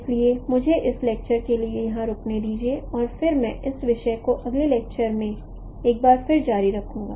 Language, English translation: Hindi, So with this, let me stop here for this lecture and then I will continue once again this topic in the next lecture